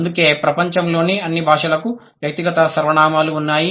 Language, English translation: Telugu, That is why all the languages in the world have personal pronoun